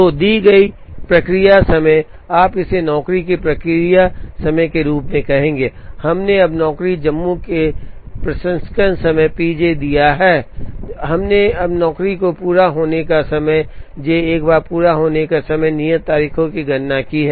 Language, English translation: Hindi, So, the given process times, you would call this as p j process time of job, we have now given the processing time p j of job j, we have now computed here the completion time of job j, once the completion time and due dates are known, we can calculate the objectives